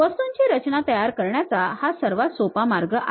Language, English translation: Marathi, This is the easiest way of constructing the things